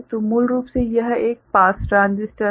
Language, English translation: Hindi, So, basically this is a pass transistor